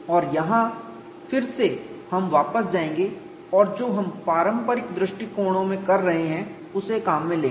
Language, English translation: Hindi, And here again we will go back and borrow what we have been doing it in conventional design approaches